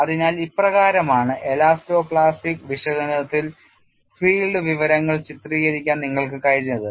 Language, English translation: Malayalam, So, this is the way that you have been able to picturise the field information in elasto plastic analysis